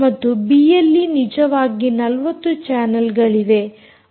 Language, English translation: Kannada, l e actually has only forty channels